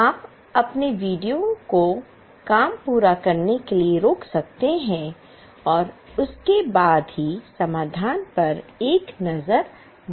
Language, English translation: Hindi, You can pause your video, complete the work and then only look, have a look at the solution